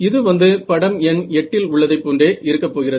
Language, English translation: Tamil, So, this is going to look like a figure of 8 right